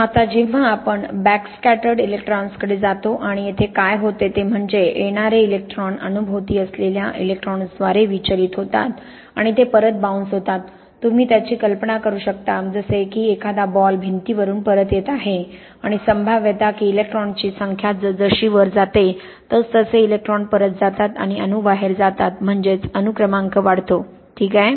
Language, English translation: Marathi, Now, much more useful when we get to all the ages or backscattered electrons and here what happens is the incoming electrons are deflected by the electrons surrounding the atom and they kind of bounce back, you can imagine it like a ball bouncing back from a wall and the probability that the electrons bounce back goes up as the number of electrons and the atoms goes out that is to say as the atomic number goes up, okay